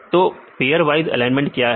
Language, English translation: Hindi, So, what is a pairwise alignment